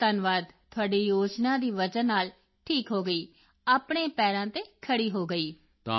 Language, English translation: Punjabi, Because of your scheme, I got cured, I got back on my feet